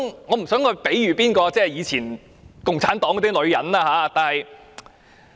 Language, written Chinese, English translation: Cantonese, 我不想把李議員比作以前共產黨的女人。, I try not to liken Ms LEE to the women of the Communist Party of China CPC back then